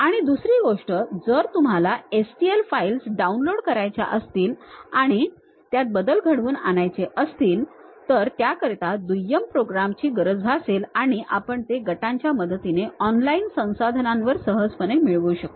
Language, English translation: Marathi, And second thing, if you wish to download and edit STL files a secondary program must be required as we can easily get it on online resources with the help from groups